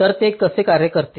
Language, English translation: Marathi, so how does it work